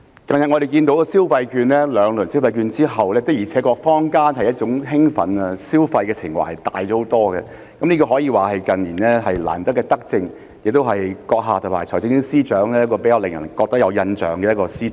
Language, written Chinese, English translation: Cantonese, 近日，我們看到在發放兩輪消費券後，坊間的興奮和消費情懷的確大了很多，這可以說是近年難得的德政，亦是行政長官和財政司司長較令人有印象的一項施政。, Recently we have seen that the disbursement of two instalments of consumption vouchers has indeed generated great excitement and boosted consumer sentiment considerably in the community . Such benevolent policies have been rare in recent years and this policy initiative introduced by the Chief Executive and the Financial Secretary will leave an impression among the people